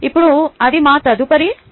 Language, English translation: Telugu, now that is our next topic